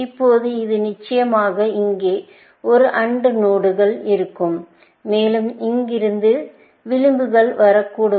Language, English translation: Tamil, Now, this, of course, would be an AND node here, and I could have edges coming from here